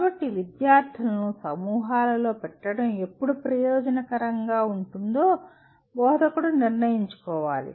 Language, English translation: Telugu, So an instructor will have to decide when actually when is it beneficial to put students into groups